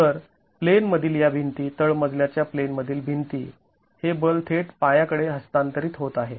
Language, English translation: Marathi, So this the in plain walls, ground story in plain walls, the force is getting directly transferred to the foundation